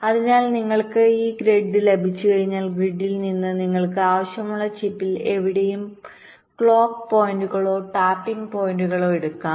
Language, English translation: Malayalam, so once you have this grid, from the grid you can take the clock points or tapping points to anywhere in the chip you want